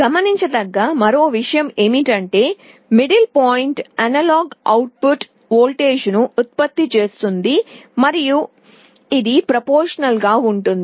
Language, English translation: Telugu, The other point to note is that the middle point is generating an analog output voltage and it is proportional